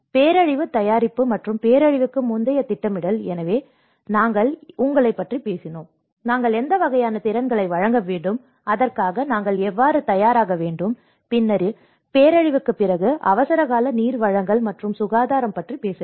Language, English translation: Tamil, And the disaster preparedness and the pre disaster planning, so we talked about you know what kind of skills we have to impart and how we have to prepare for it and later on after the disaster, we have to talk about emergency water supply and sanitation